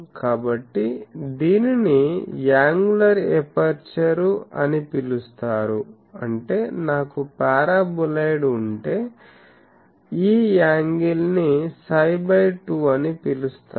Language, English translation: Telugu, So, that is called angular aperture that means, if I have a paraboloid so, this angle is called psi or psi by 2